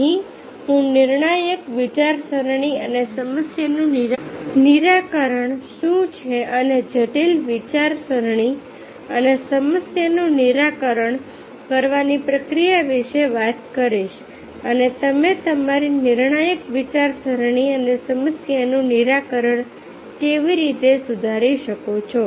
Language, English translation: Gujarati, here will speak about what is critical thinking and problem solving and the process of critical thinking and a problem solving and how you can improve your critical thinking and problem solving